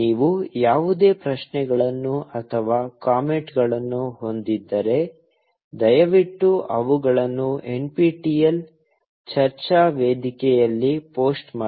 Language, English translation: Kannada, If you have any questions, or comments, please post them on the NPTEL discussion forum